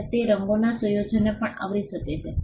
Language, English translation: Gujarati, And it can also cover combination of colours